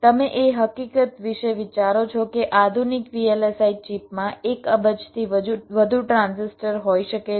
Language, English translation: Gujarati, you think of the fact that modern day vlsi chips can contain more than a billion transistors